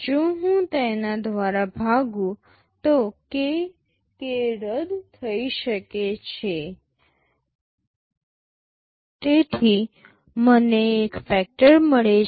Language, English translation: Gujarati, If I divided by that, k, k can cancels out, so I get a factor